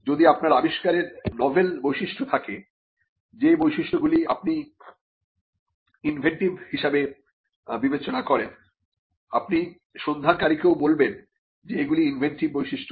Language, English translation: Bengali, And if there are novel features of your invention, the features which you consider to be inventive, you would also tell the searcher that these are the inventive features